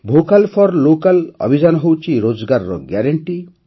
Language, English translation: Odia, The Vocal For Local campaign is a guarantee of employment